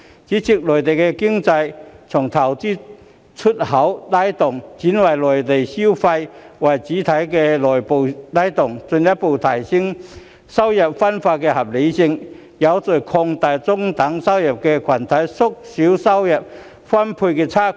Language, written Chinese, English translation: Cantonese, 主席，內地經濟從投資和出口拉動，轉換為以內部消費為主體的內需拉動，進一步提升收入分配的合理性，有序擴大中等收入群體，縮小收入分配差距。, President the Mainlands economy will be driven by domestic demand with domestic consumption as the mainstay instead of investment and export trade as in the past . This can further increase equity in income distribution expand the size of the middle - income group in an orderly fashion and narrow the disparity in income distribution